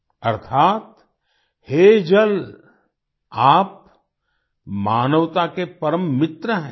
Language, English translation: Hindi, Meaning O water, you are the best friend of humanity